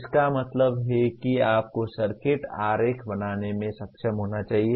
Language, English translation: Hindi, That means you should be able to draw a circuit diagram